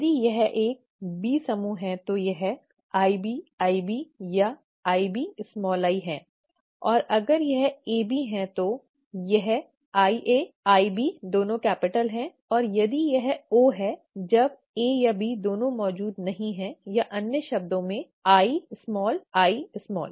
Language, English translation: Hindi, If it is it is a B group, if it is I capital B I capital B or I capital B small I, and if it is AB, if it is IA IB both capitals and if it is O, when neither A nor B are present or in other words, small i small i